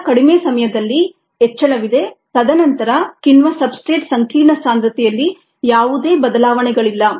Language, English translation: Kannada, at very small times there is an increase and then there is no change in the concentration of the enzyme substrate complex